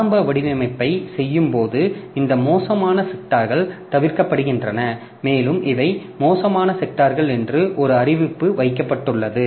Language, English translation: Tamil, So, while doing the initial formatting these bad sectors are avoided and there is a notice kept that these are bad sectors, so no data will be written there